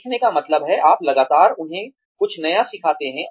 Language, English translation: Hindi, Over learning means, you constantly teach them, something new